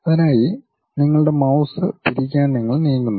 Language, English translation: Malayalam, For that you just move rotate your mouse